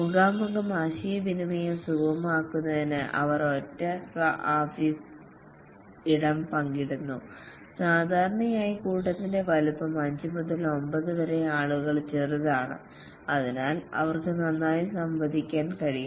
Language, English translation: Malayalam, To facilitate face to face communication, they share a single office space and typically the team size is small, 5 to 9 people so that they can interact well